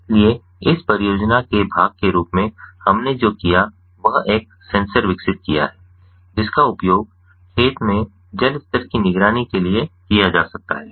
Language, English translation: Hindi, so, as part of this project, what we did is we developed a sensor that can be used for monitoring the water level in the field